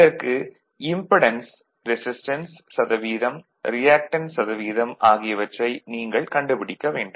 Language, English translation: Tamil, You have to find out the impedance value, percentage resistance and percentage reactance